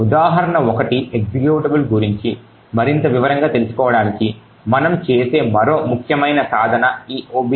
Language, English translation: Telugu, actually look at to go more into detail about the example 1 executable is this objdump